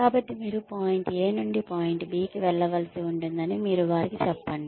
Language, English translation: Telugu, So, you tell them that, you will need to go from point A to point B